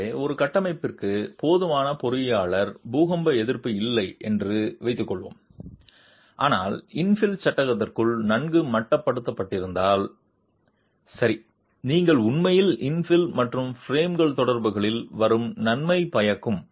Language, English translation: Tamil, So let's assume a structure does not have the adequate engineered earthquake resistance, but if the infill panel is well confined within the frame, then you could actually have a beneficial effect coming from the infill and the frame interaction